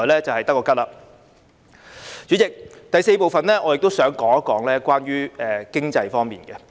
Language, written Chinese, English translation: Cantonese, 主席，在第四部分，我想說說經濟方面。, President in the fourth part of my speech I wish to talk about the economy